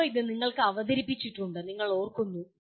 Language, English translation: Malayalam, It is presented to you earlier, you are remembering